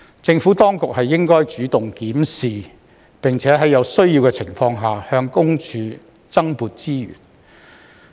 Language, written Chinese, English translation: Cantonese, 政府當局應主動檢視，並在有需要的情況下，向私隱公署增撥資源。, The Administration should take the initiative to review the situation and whenever necessary allocate additional resources to PCPD